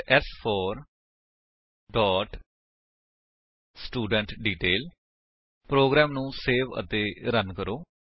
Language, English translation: Punjabi, Then s4 dot studentDetail Save and Run the program